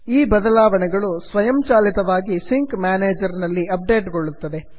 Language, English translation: Kannada, This changes will be automatically updated in the sync manager